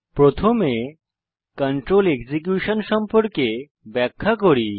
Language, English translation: Bengali, Let me first explain about what is control execution